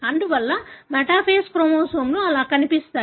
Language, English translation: Telugu, Therefore, the metaphase chromosomes look like that